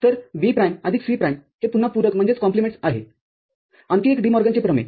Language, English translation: Marathi, So, B prime plus C prime this is again a complements; another DeMorgan's theorem